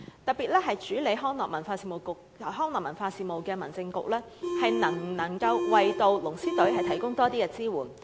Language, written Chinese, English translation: Cantonese, 特別是主管康樂文化事務的民政事務局，能否為龍獅隊多提供多一些支援？, Can the Home Affairs Bureau in particular which is in charge of recreational and cultural affairs provide more support to the dragon and lion dance teams such as matching the venues for them?